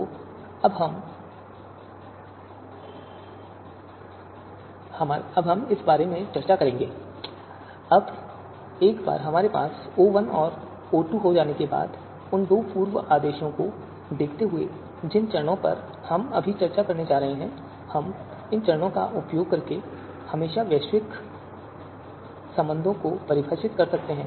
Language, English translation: Hindi, So now once we have O1 and O2, those two pre orders, given the steps that we are going to discuss now, we can always define global relations using these steps